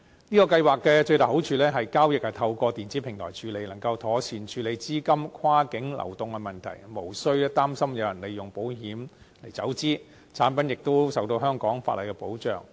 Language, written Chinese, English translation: Cantonese, 這項計劃的最大好處是，交易是透過電子平台處理，能夠妥善處理資金跨境流動的問題，無須擔心有人利用保險來走資，產品亦受到香港法例的保障。, The greatest merit of this scheme is that transactions are handled via an electronic platform which can properly handle the issue of cross - boundary capital flows . There is no need to worry about people using insurance products as a means of capital flight and the products are protected by the laws of Hong Kong